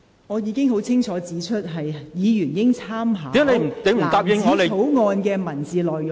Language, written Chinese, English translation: Cantonese, 我已清楚指出，委員應以藍紙條例草案的文本為準。, I have clearly pointed out that Members should speak on the basis of the texts of the Blue Bill